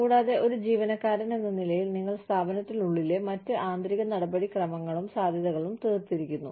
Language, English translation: Malayalam, And, you as an employee, have exhausted other internal procedures and possibilities, within the organization